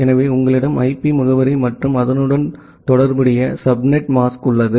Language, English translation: Tamil, So, you have a IP address and a corresponding subnet mask